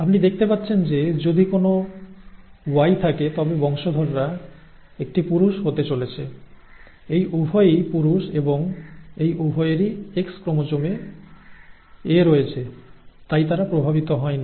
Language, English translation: Bengali, And as you can see the, if there is a Y, the offspring is going to be a male, both these are males and both these have the capital A on their X chromosome so therefore they are unaffected